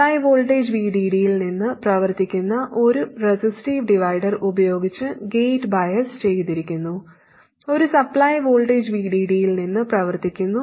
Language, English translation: Malayalam, And the gate is biased using a resistive divider which is powered from the supply voltage VDD and the source is biased by connecting a current source to it